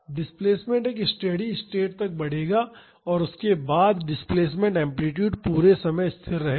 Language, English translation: Hindi, The displacement will grow until a steady state and after that the displacement amplitude is constant throughout the time